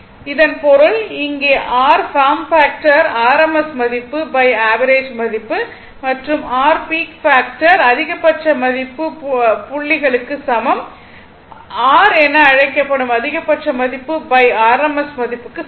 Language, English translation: Tamil, So, that means, I mean here if you come again ah that your form factor is equal to rms value by average value and your peak factor is equal to maximum value point points your what you call is equal to maximum value by rms value